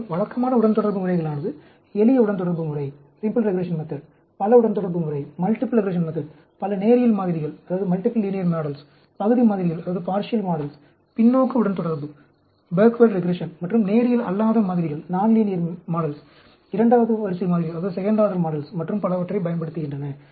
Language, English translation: Tamil, And, typical regression methods use a simple regression method, multiple regression method, multiple linear models, partial models, backward regression and non linear models, second order models, and so on, actually